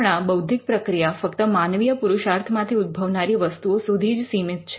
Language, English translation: Gujarati, Currently an intellectual process is confined to the products that come out of human creative labour